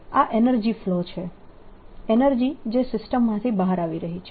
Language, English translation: Gujarati, that is the energy flow, energy which is going out of the system